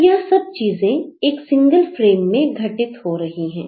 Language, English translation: Hindi, So, all these things are happening in a single frame